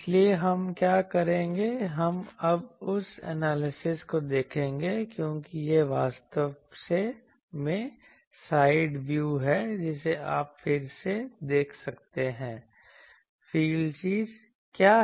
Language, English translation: Hindi, So, what we will do, we will now see that analysis because the this is the actually side view here you can see again that field thing is here